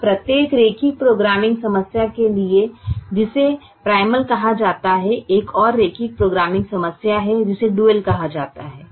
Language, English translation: Hindi, now, for every linear programming problem which is called as primal, there is another linear programming problem which is called the dual